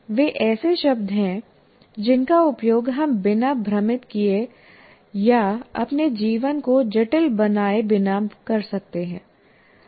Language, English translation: Hindi, Those are the words which we can use without confusing or making our lives complicated